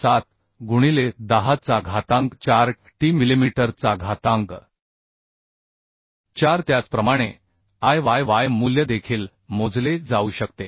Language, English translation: Marathi, 62 into 10 to that 4 t millimetre to 4 so Iyy value we have calculated like this